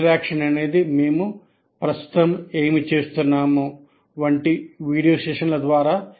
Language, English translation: Telugu, Interaction is through video sessions like what we are doing right now